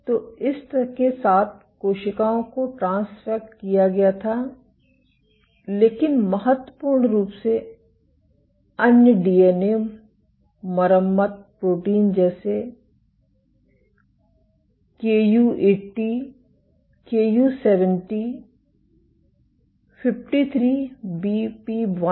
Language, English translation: Hindi, So, cells were transfected with this, but importantly other DNA repair proteins including Ku80, Ku70, 53BP1